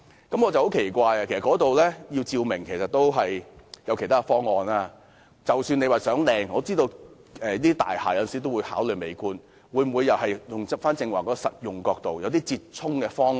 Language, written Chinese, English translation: Cantonese, 我感到很奇怪，因為那裏總有其他方法照明，即使是為了漂亮——我知道這類大廈有時要考慮美觀——但可否從實用角度出發，想出折衷方案？, I found this odd as there are always other means of illumination for that place . Even if it is for beautys sake―I know this kind of buildings may sometimes have to consider the aesthetic factor―can a pragmatic approach be taken to strike a happy medium for the purpose?